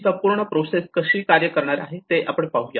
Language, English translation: Marathi, So let us see how this whole process is going to work